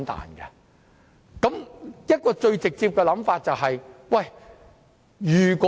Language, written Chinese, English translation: Cantonese, 我想提出一個最直接的說法。, Perhaps I can put it in the most straight forward way